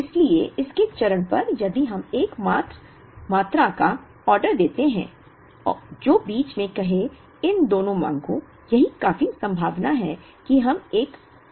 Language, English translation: Hindi, So, on the phase of it, if we order a quantity which is say, in between these two demands, it’s quite likely that we end up making one additional order